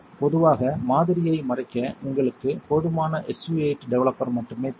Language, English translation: Tamil, Typically you only need enough SU 8 developer to cover the sample